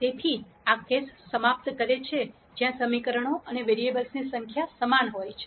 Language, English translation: Gujarati, So, that finishes the case where the number of equations and variables are the same